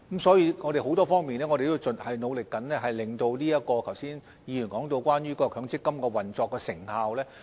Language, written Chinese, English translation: Cantonese, 所以，我們在很多方面都在努力中，令議員剛才所說關於強積金運作的成效，能比較上做得更好。, Hence we have been putting efforts in many areas so that the operational effectiveness of MPF as mentioned by the Honourable Member earlier can be relatively enhanced